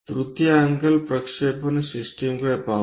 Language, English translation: Marathi, Let us look at third angle projection system